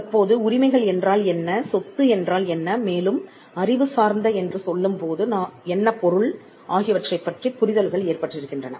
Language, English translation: Tamil, Now, that we have understandings of these 3 terms, what rights are, what property is, and what we mean by the term intellectual